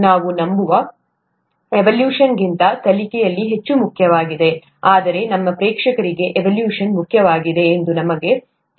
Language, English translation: Kannada, The learning is much more important than the evaluation is what we believe, but we also know that the evaluation is important for our audience